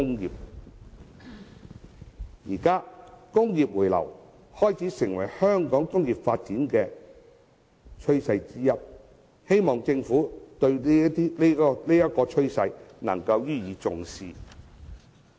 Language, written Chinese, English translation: Cantonese, 現時工業回流，開始成為香港工業發展的趨勢之一，希望政府對這趨勢能予以重視。, The return of the industrial sector to Hong Kong is one of the latest trends of the development of local industries and I hope that the Government will attach importance to it